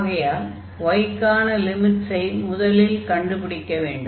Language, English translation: Tamil, So, first we have to fix the limit for y here